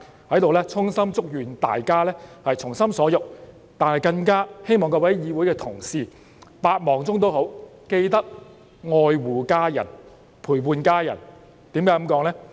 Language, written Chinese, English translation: Cantonese, 在此，我衷心祝願大家從心所欲，但更希望各位同事在百忙中都要愛護家人，陪伴家人，為甚麼這樣說呢？, I hereby would like to sincerely wish you all the best and I also hope that you will love your family members take time with them out of your hectic schedule to be with them